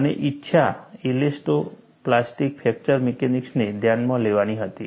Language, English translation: Gujarati, And the desire was, to account for elasto plastic fracture mechanics